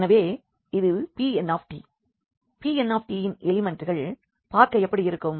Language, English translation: Tamil, So, this P n t; so, how the elements of P n t look like